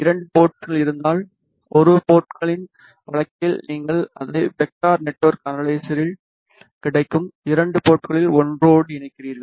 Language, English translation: Tamil, In case of two port DUT in case of one port DUT you simply connected to one of the two ports available at the vector network analyzer